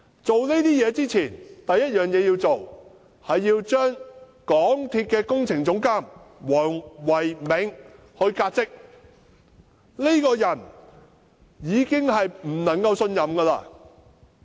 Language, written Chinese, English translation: Cantonese, 做這些工作之前，首先要把港鐵公司工程總監黃唯銘革職，因為這個人已經不能信任。, Before carrying out these tasks Dr Philco WONG Projects Director of MTRCL must be dismissed because he can no longer be trusted